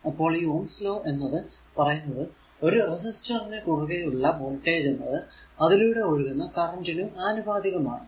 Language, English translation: Malayalam, So, actually Ohm’s law states, the voltage v across a resistor is directly proportional to the current i flowing through the resistor